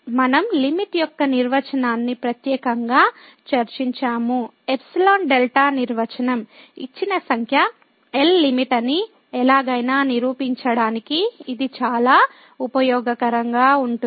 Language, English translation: Telugu, We have also discussed the definition of the limit in particular the epsilon delta definition which is very useful to prove somehow that a given number L is the limit